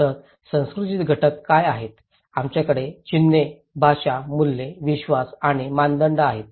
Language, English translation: Marathi, So, what are elements of culture; we have symbols, language, values, beliefs and norms